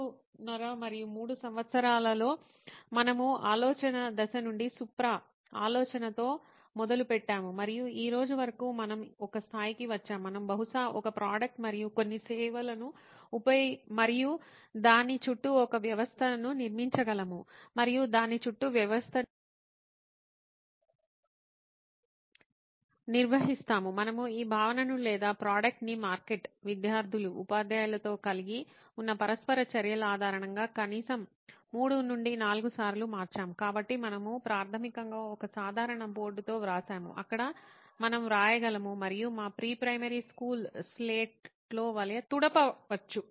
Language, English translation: Telugu, 5 and 3 years as we started from the idea stage where Supra has come up with the idea and till today where we have come up to a level we can probably build a product and few services and a system around it and organize system around it, we have changed this concept or the product in atleast 3 to 4 times basing on the interactions we had with the market, students, teachers, so we have basically started with a simple board a writing slate where we can just write and erase like in our pre primary school slate